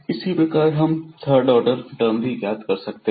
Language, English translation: Hindi, Similarly, we can compute the third order derivative